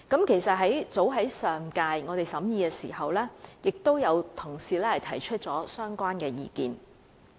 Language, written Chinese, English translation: Cantonese, 其實，早於上屆立法會審議《條例草案》時，已有同事提出相關的意見。, In fact as early as the Bill was scrutinized by the previous Legislative Council colleagues had put forth similar views